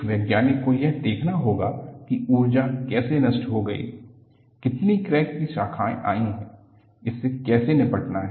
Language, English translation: Hindi, A scientist has to go and see how the energy has been dissipated, how many crack branches have come about and how to deal with this